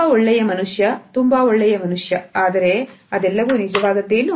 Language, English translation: Kannada, Very good man very good man, but is it all genuine